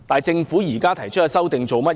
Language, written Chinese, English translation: Cantonese, 政府現時提出的修訂是甚麼？, What is the Governments current proposed amendment?